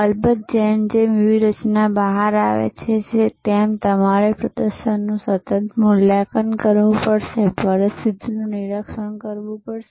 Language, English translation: Gujarati, Of course, as the strategy rolls out you have to constantly evaluate performances, monitor the situation